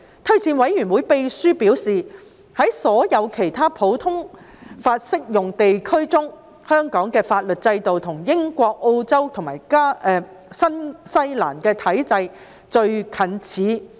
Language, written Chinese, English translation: Cantonese, 推薦委員會秘書表示，在所有其他普通法適用地區中，香港的法律制度與英國、澳洲及新西蘭的體制最近似。, Secretary to JORC has advised that of all the other common law jurisdictions Hong Kongs legal system has the closest affinity to that of UK Australia and New Zealand